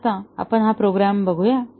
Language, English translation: Marathi, So, let us look at this program